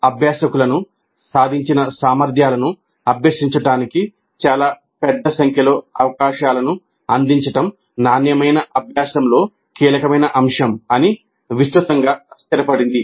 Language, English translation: Telugu, It's widely established that providing learners with a very large number of opportunities to practice the competencies being acquired is crucial element of quality learning